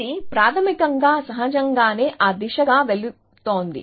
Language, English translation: Telugu, So, it basically naturally goes off on that direction